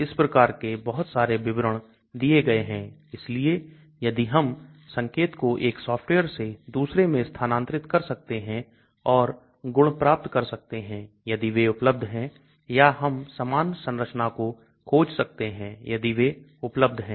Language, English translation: Hindi, So lot of these type of details is given, so if we can move SMILES notation from 1 software to another and get properties if they are available or we can search for similar structures if they are available